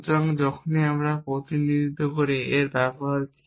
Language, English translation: Bengali, So, whenever we do representation what is the use